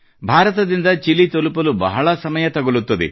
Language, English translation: Kannada, It takes a lot of time to reach Chile from India